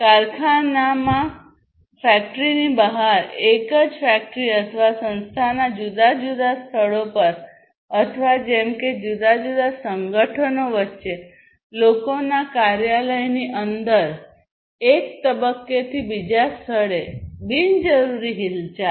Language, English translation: Gujarati, Unnecessary movement of people from one point to another within the factory, outside the factory, across different locations of the same factory or organization, or between different organizations as the case may be